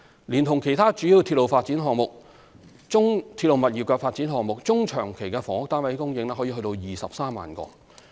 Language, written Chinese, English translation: Cantonese, 連同其他主要鐵路物業發展項目，中長期的房屋單位供應可達23萬個。, Together with other major railway property development projects the housing supply in the medium to long term should be able to reach 230 000 units